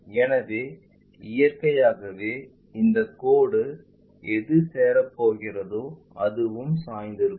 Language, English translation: Tamil, So, naturally this line whatever it is going to join that will also be inclined